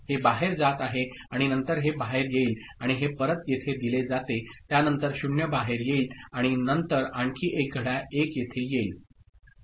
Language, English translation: Marathi, This one is going out and after that this one will come out and this one is fed back here after that 0 will come out and after again another clock 1 will come here